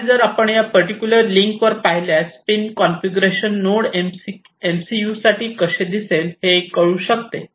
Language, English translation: Marathi, And if you go to if I go to this link if I go to this particular link, I can show you how this pin configuration looks like for the Node MCU